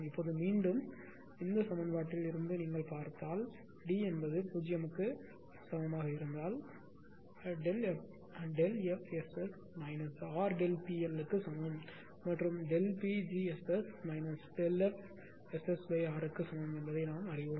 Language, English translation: Tamil, Now again from this equation that we have seen that if D is equal to 0 delta F S S is equal to minus R into delta P L and we know that delta Pg S S is equal to minus delta F S S a F S S upon R